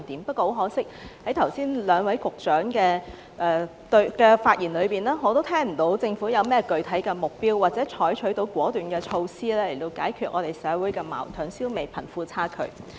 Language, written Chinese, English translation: Cantonese, 不過，很可惜，在剛才兩位局長的發言中，我都聽不到政府有何具體目標或採取甚麼果斷措施解決社會矛盾，消弭貧富差距。, Regrettably in what the two Secretaries have just said I could not find any specific targets or decisive measures the Government will formulate or adopt to resolve the conflicts in the community and eradicate the disparity between the rich and the poor